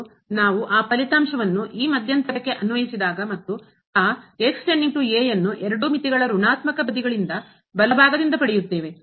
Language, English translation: Kannada, And, then when we apply that result to this interval and we will get that goes to a from the negative sides of both the limits from the right side